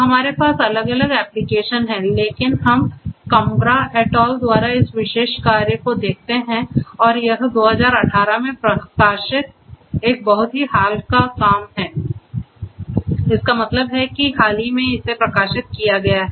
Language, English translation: Hindi, So, we have different applications, but let us look at this particular work by Cambra et al and it is a very recent work published in 2018; that means, very recently it has been published